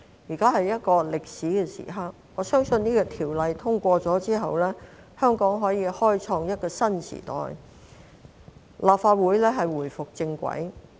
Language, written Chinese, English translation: Cantonese, 現時是一個歷史時刻，我相信《條例草案》通過後，香港將可以開創一個新時代，立法會能回歸正軌。, This is a historic moment and I am sure that after the passage of the Bill Hong Kong will open a new chapter while the Legislative Council will get back on the right track